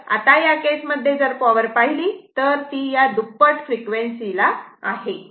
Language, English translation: Marathi, So now, in that case if you look that power, this is at this is at double frequency right